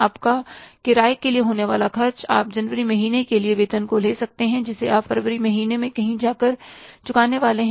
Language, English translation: Hindi, The expenses on account of this your rent, your, say, salaries, you have for the month of January, you are going to pay somewhere in the month of February